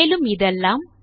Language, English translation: Tamil, and all of this